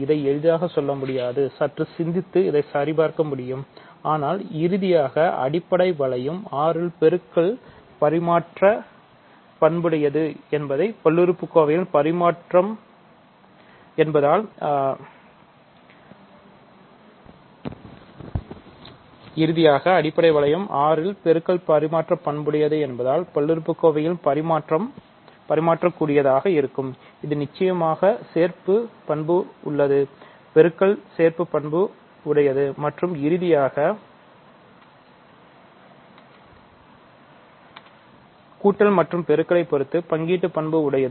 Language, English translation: Tamil, And, multiplication is commutative right because, ok, this requires a little thinking, but ultimately because multiplication in the base ring R is commutative, multiplication in the polynomial for polynomials also is commutative; it is certainly associative, multiplication is associative and finally, addition and multiplication distribute, ok